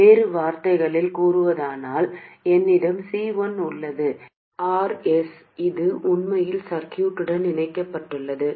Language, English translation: Tamil, In other words, I have C1 over here, RS, and this is connected to something, that is actually the circuit, and there will be some looking in resistance